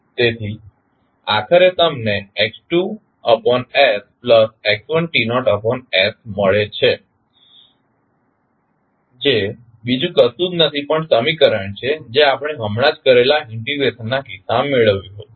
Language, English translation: Gujarati, So, finally you get x1s as x2s plus x1 t naught divided s which is nothing but the equation which we just derived in case of the integration which we just performed